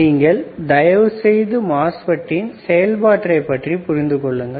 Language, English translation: Tamil, Now, you guys can please understand the process flow for MOSFET as well, right